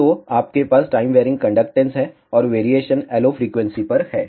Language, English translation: Hindi, So, you have a time varying conductance, and the variation is add the LO frequency